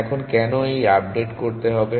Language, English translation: Bengali, Now why do we need to do this updation